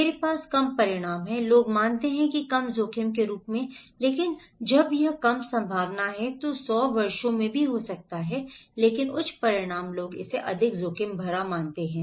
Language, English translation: Hindi, I have at have low consequences, people consider that as low risk but when this is low probability, may be happening in 100 years but high consequences people consider that as more risky